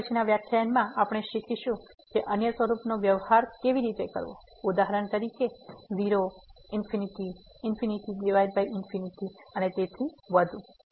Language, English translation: Gujarati, In the next lecture we will learn now how to deal the other forms; for example the 0 infinity, infinity by infinity and so on